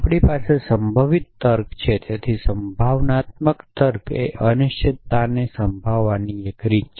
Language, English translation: Gujarati, But we have probabilistic reasoning so probabilistic reasoning is one way of handling uncertainty essentially